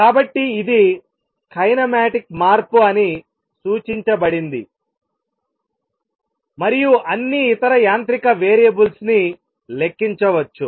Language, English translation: Telugu, So, this is the kinematic change is that suggested an all the corresponding other mechanical variables can be calculated